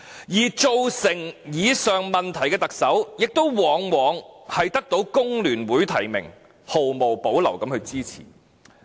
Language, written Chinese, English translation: Cantonese, 而造成以上問題的特首，亦往往獲香港工會聯合會提名及毫無保留的支持。, And the Chief Executive who has created the problems above is regularly nominated and backed by the Hong Kong Federation of Trade Unions FTU unreservedly